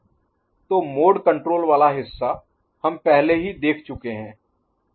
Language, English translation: Hindi, So, the mode control part we have already seen